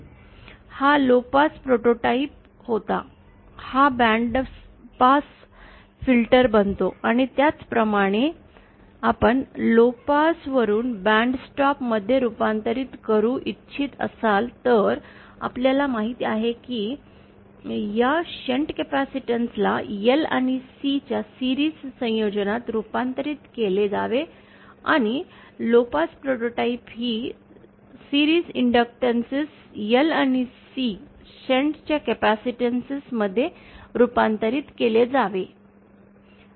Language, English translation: Marathi, This was a low pass prototype, this becomes a bandpass filter and similarly if you want to convert from lowpass to bandstop, then we know that this shunt capacitance should be converted to series combination of L and C and this series inductance in low pass prototype to be converted to a shunt capacitance of L and C